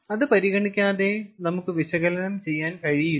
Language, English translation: Malayalam, without considering that we cannot do the analysis